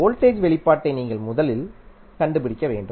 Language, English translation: Tamil, You have to first find the expression for voltage